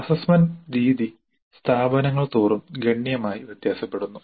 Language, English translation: Malayalam, The method of assessment varies dramatically from institution to institution